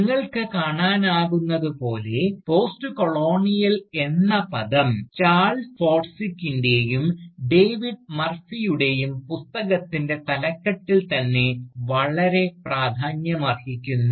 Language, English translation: Malayalam, And, indeed, as you can see, the term Postcolonial, features very prominently, in the title of Charles Forsdick and David Murphy’s Book itself, which Criticises, the existing field of Postcolonial studies